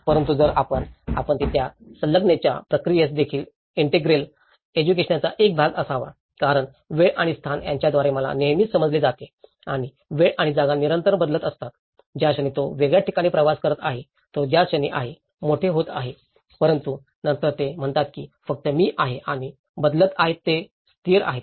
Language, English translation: Marathi, But if we, you, they, that attachment process also has to be part of the integral education because I is always perceived through time and space and time and space are constantly changing, the moment he is travelling a different places, the moment he is growing up but then it says there is only I and change which are constants